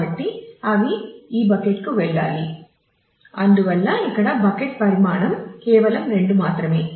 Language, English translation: Telugu, So, they all need to go to this bucket and therefore, but the bucket size assumed here is just 2